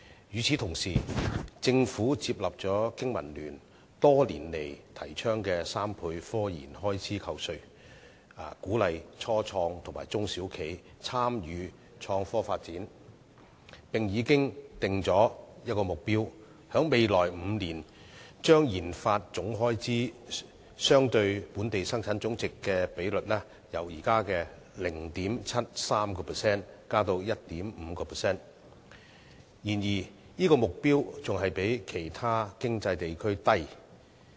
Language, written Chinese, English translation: Cantonese, 與此同時，政府接納了香港經濟民生聯盟多年來提倡的3倍科研開支扣稅，鼓勵初創及中小企參與創科發展，並且訂下目標，在未來5年將研發總開支相對本地生產總值的比率由現時的 0.73% 提高至 1.5%， 但這個目標仍然比其他經濟地區為低。, Meanwhile the Government has endorsed a 300 % tax deduction for research and development RD expenditure as advocated by the Business and Professionals Alliance for Hong Kong over the years to encourage start - ups and small and medium enterprises to pursue innovation and technology development as well as setting the objective of raising total expenditure on RD as a percentage of the Gross Domestic Product from the current 0.73 % to 1.5 % though this objective is still low compared to other economies